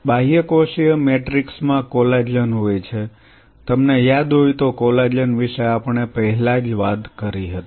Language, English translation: Gujarati, Extracellular matrix has collagen; we have already talked about collagen you remember